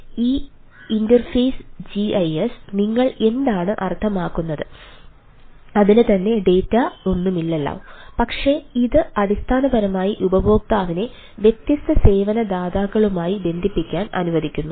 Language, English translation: Malayalam, what do you mean by this interface gis is that it itself does not have any data ah per se, but it basically allows the consumer or the customer to connect with different service provider